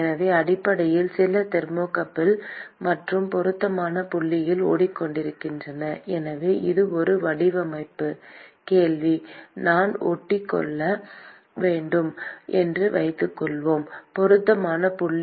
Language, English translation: Tamil, So, basically stick in some thermocouple and the appropriate point so, this is a design question: supposing I have to stick in what is the appropriate point